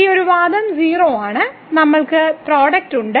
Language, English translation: Malayalam, And this one argument is 0 and we have the product